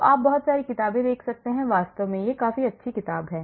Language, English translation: Hindi, So, you can see a lot of books actually this is quite a good book